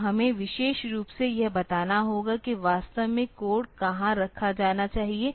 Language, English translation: Hindi, So, we have to tell specifically where exactly the code should be put, fine